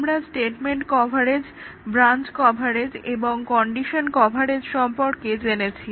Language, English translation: Bengali, We had seen the statement coverage, branch coverage and condition coverage